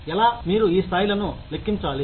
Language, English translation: Telugu, How, you calculate these levels